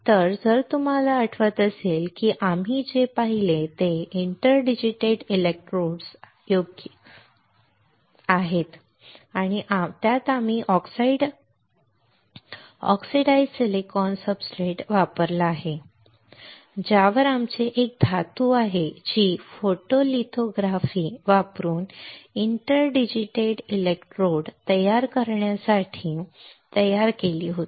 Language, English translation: Marathi, So, if you remember the what we have seen is the interdigitated electrodes right and in that we have used oxide oxidized silicon substrate, on which we have a metal which were which was patterned using photolithography to form interdigitated electrodes right